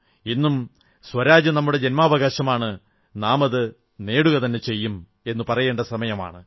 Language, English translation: Malayalam, " Today is the time to say that Good Governance is our birth right and we will have it